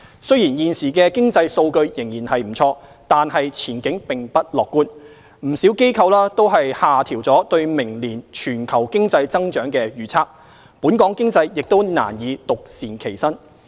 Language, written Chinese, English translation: Cantonese, 雖然現時的經濟數據仍然不錯，但前景並不樂觀，不少機構均下調對明年全球經濟增長的預測，本港經濟亦難以獨善其身。, Although the current economic data are still good the outlook is not optimistic . Many institutions have lowered their forecasts for global economic growth next year and Hong Kong economy cannot stay immune